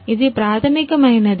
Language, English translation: Telugu, This is the basic